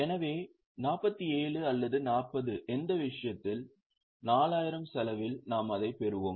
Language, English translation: Tamil, So, 47 or 40 in which case we will consider it at cost that is at 40,000